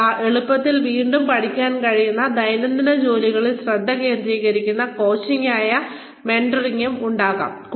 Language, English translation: Malayalam, There could be mentoring, which is coaching, that focuses on, daily tasks, that you can easily re learn